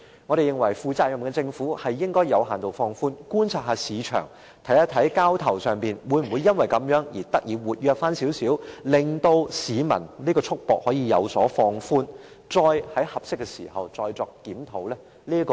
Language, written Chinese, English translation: Cantonese, 一個負責任的政府應該先作有限度放寬，再觀察市場交投量會否變得稍為活躍，令市民的束縛有所放寬，並在合適時候再作檢討。, A responsible government should suitably extend the time limit in the first stance and review the matter in due course if the volume of transactions in the secondary residential market has increased slightly suggesting that people are no longer restricted in their actions